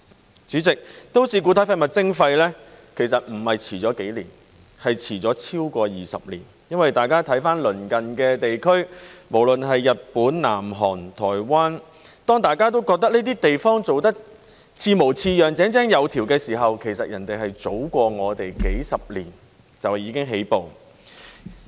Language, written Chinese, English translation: Cantonese, 代理主席，都市固體廢物徵費其實不是遲了幾年，而是遲了超過20年，因為大家看鄰近地區，無論是日本、南韓、台灣，當大家都覺得這些地方做得似模似樣、井井有條時，其實別人是早過我們幾十年就已經起步。, Deputy President actually the charging for municipal solid waste MSW is late not for a few years but for over two decades . It is because as we can see from the neighbouring regions whether it be Japan South Korea or Taiwan when we think that these places have performed quite satisfactorily and in a well - organized manner actually they already made a start several decades ahead of us